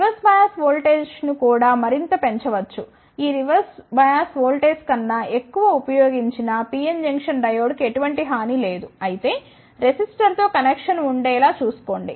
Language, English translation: Telugu, The reverse bias voltage can also be increased further, there is no harm in using the PN junction diode above this reverse bias voltage , but make sure that there should be a connection with the resistor